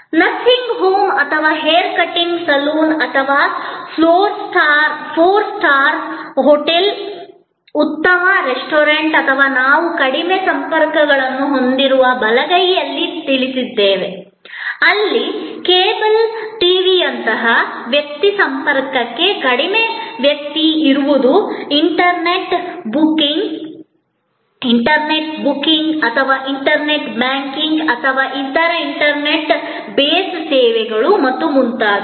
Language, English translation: Kannada, We have the high contact services like nursing home are hair cutting saloon or a four star hotel are a good restaurant and known the right hand side we have low contact services, where there is low person to person contact like cable TV are internet banking and other internet base services and so on